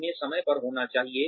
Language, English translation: Hindi, They should be timely